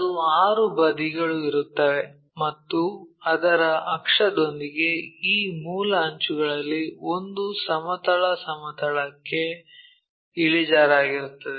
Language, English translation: Kannada, 6 sides will be there, and one of these base edges with its axis also inclined to horizontal plane